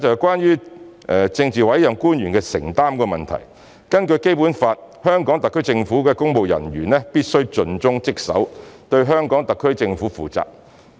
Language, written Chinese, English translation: Cantonese, 關於政治委任官員的承擔問題，根據《基本法》，香港特區政府公務人員必須盡忠職守，對香港特區政府負責。, Concerning the commitment of politically appointed officials pursuant to the Basic Law civil servants of the HKSAR Government must dedicate themselves to their duties and be responsible to the HKSAR Government